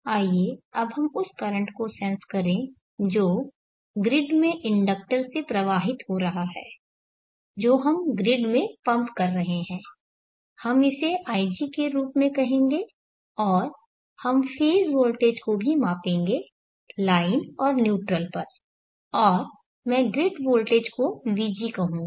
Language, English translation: Hindi, Let us now sense the current that is flowing through the inductor into the grid that we are pumping into the grid we will call it as ig and let us also measure the phase voltage have a line and neutral and I will call that one as vg that is the grid voltage, grid voltage vg is vm sin